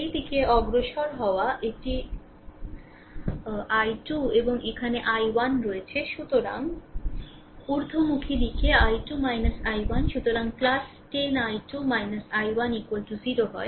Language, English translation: Bengali, And we are moving in this direction this is i 2 and here i 1 is there, so in upward direction is i 2 minus i 1 so plus 10 i 2 minus i 1 is equal to 0 right